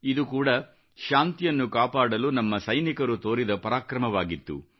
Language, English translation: Kannada, This too was an act of valour on part of our soldiers on the path to peace